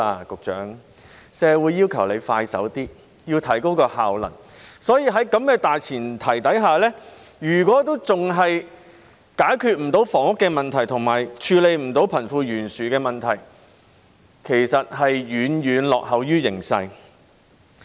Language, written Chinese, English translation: Cantonese, 局長，社會要求政府做事爽快些，要提高效能，所以，在這大前提下，如果政府仍未能解決房屋問題，以及未能處理貧富懸殊的問題，那它其實便是遠遠落後於形勢。, Secretary the community expects the Government to take swift actions and enhance its efficiency . So on this premise if the Government still fails to address the housing problem and the issue of wealth disparity it is actually far from keeping pace with the circumstances